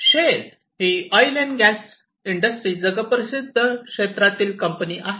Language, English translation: Marathi, Shell is a very well known company worldwide